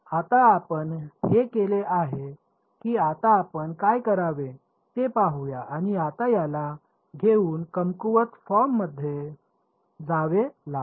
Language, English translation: Marathi, So now, that we have done this let us see what should what is next is now we have to take this guy and substitute into the weak form right